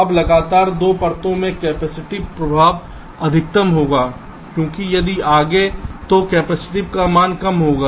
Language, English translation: Hindi, now, across two consecutive layers, the capacitive affect will be the maximum, because if there are further, if away, the value of the capacitance will be less